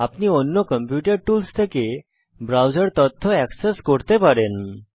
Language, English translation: Bengali, You can access your browser data from the other computer tools